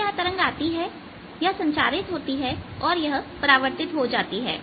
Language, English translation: Hindi, this wave is coming, gets transmitted, gets reflected